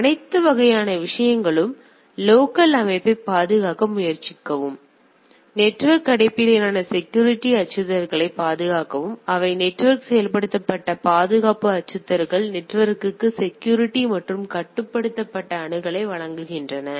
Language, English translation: Tamil, So, all all type of things; try to protect the local system, protect network based security threats which are network enabled security threats provide security and controlled access to the internet right